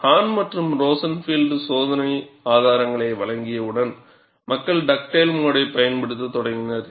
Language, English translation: Tamil, Once Hahn and Rosenfield provided the experimental evidence, people started using Dugdale mode